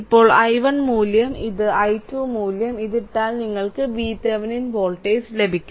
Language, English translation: Malayalam, Now put i 1 value is equal to this much and i 2 value is equal to this much you will get V Thevenin voltage right